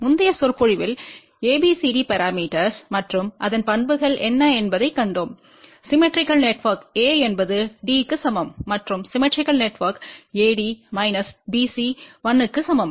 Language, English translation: Tamil, In the previous lecture we had seen abcd parameters and what are its properties and we had seen that a is equal to d for symmetrical network and AD minus BC is equal to 1 for symmetrical network